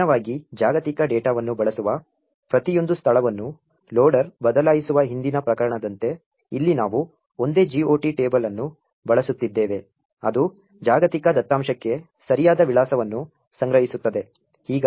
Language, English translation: Kannada, Unlike, the previous case where the loader goes on changing each and every location where the global data is used, here we are using a single GOT table which stores the correct address for the global data